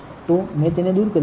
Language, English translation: Gujarati, So, I have removed it